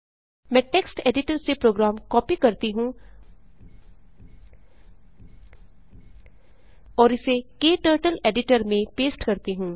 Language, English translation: Hindi, Let me copy the program from text editor and paste it into KTurtle editor